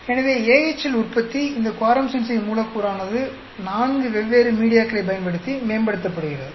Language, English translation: Tamil, So, production of AHL, this quorum sensing molecule is being optimized using four different media